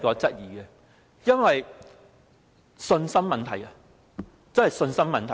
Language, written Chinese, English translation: Cantonese, 這是信心問題，真的是信心的問題。, This is a matter of confidence . This is really a matter of confidence